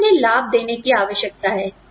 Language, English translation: Hindi, We need to give them benefits